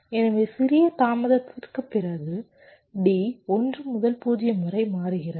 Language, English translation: Tamil, so after small delay, d is changing from one to zero